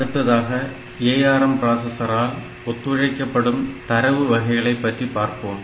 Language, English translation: Tamil, Next we will look into the data types that are supported by this a ARM processor